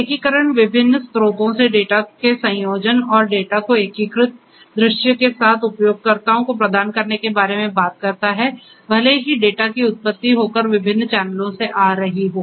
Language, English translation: Hindi, Integration talks about combination of data from arriving from different sources and providing users with unified integrated view of the data, even though the data is originated and is coming from different different channels